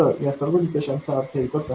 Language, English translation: Marathi, So all this criteria mean the same thing